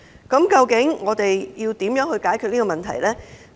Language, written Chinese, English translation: Cantonese, 究竟怎樣解決這個問題呢？, How can this problem be solved?